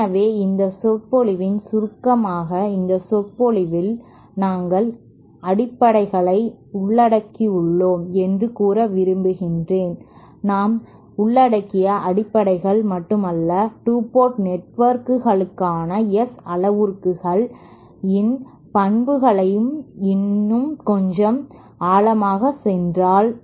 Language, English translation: Tamil, So in summary for this lecture I would like to say that in this lecture we have, we have covered the basics of not the basics we have covered gone little more in depth in to the properties of the S parameters for 2 port networks